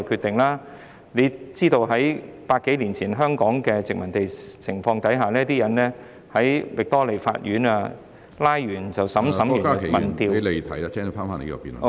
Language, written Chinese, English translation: Cantonese, 大家知道在百多年前香港的殖民地情況下，拘捕人後，便立即在域多利法院審判，審判後便......, As we all know over a hundred years ago in colonial Hong Kong arrested persons were immediately brought up to the Victoria Court for trial and after trial